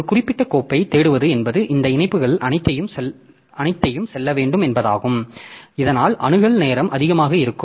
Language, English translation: Tamil, So, searching for a particular file means you have to go through all these links so that makes the access time to be high